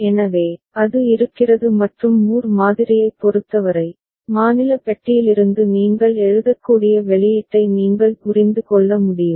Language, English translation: Tamil, So, that is there and for Moore model, you can understand the output that will be derived solely from the state that you can write down with the state box ok